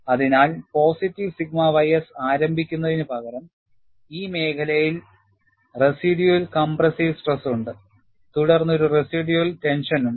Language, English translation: Malayalam, So, what you have is, instead of positive sigma y s, to start with, it has a residual compressive stress, in this zone, followed by residual tension